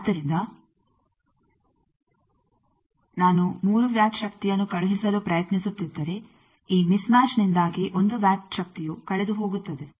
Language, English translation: Kannada, So, if I am trying to send three watts of power one watt power will be lost due to this mismatch